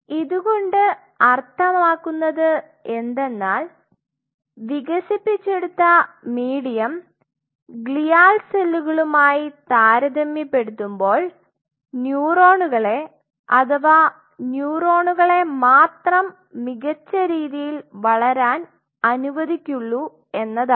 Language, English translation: Malayalam, Now that means that the medium which has been developed selects or preferentially allows the neurons to grow better as compared to the glial cells